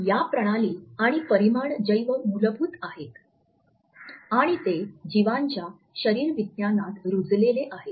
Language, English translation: Marathi, These systems and dimensions are bio basic and they are rooted in physiology of the organism